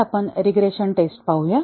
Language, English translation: Marathi, Today, we look at regression testing